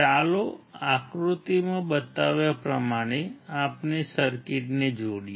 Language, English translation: Gujarati, Let us connect the circuit as shown in figure